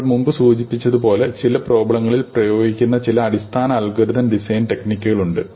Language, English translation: Malayalam, As we mentioned before, there are some basic algorithmic design techniques; which are applied across a class of problems